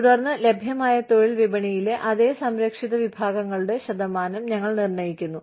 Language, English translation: Malayalam, Then, we determine the percentage of those, same protected classes, in the available labor market